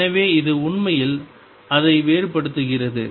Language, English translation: Tamil, So, it actually differentiates it